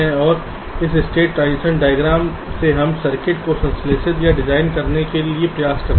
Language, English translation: Hindi, this is what you want and from this state transition diagram we try to synthesize or design my circuit